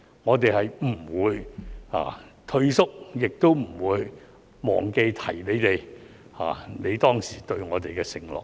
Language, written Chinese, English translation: Cantonese, 我們不會退縮，亦不會忘記提醒你們，你當時對我們的承諾。, We will not back down or forget to remind you of the promises you have made to us